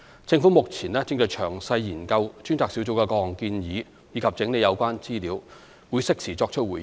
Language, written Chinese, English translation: Cantonese, 政府目前正詳細研究專責小組各項建議及整理有關資料，會適時作出回應。, The Government is now examining in details the recommendations put forward by the Task Force and consolidating the relevant information and will provide a timely response